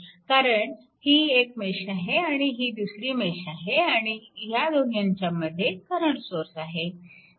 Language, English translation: Marathi, Because, one this is mesh this is, mesh and these two mesh in between one current source is there